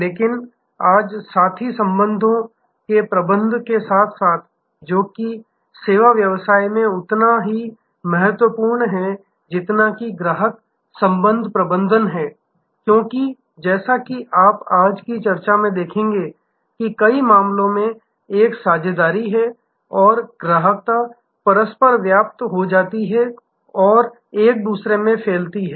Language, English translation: Hindi, But, today side by side with managing partner relationships, which is as important in service business as is customer relationship management, because as you will see from today's discussion, that in many cases there is a partnership and customer ship overlap and defuse in to each other